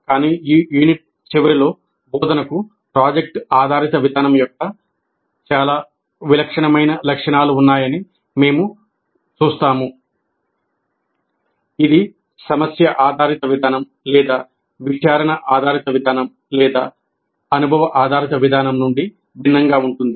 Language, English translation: Telugu, But hopefully at the end of this unit, you will see that there are very distinctive features of project based approach to instruction which makes it different from problem based approach or inquiry based approach or even experience based approach